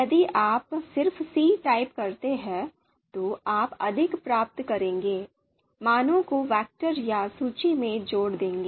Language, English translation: Hindi, So if you just you know type c here and you will get more detail, see combine values into vector or list